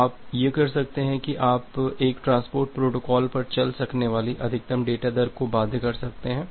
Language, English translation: Hindi, So, you can do that that you can bound the maximum data rate that you can sale over a transport protocol